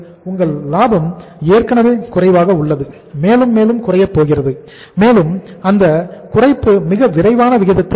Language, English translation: Tamil, Your profitability is already low and is further going to go down and that reduction is going to be at a much faster rate